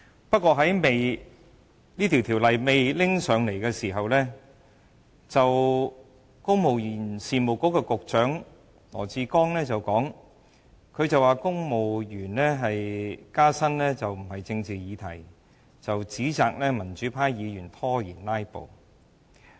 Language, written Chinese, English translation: Cantonese, 不過，在《條例草案》提交立法會前，公務員事務局局長羅智光說公務員加薪不是政治議題，指責民主派議員"拉布"拖延。, Before the introduction of the Bill into the Legislative Council Secretary for the Civil Service Joshua LAW criticized the pro - democracy Members for staging filibusters as a delaying tactic saying the civil service pay rise is not a political subject